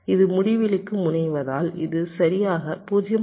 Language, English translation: Tamil, as it tends to infinity, this will be exactly point five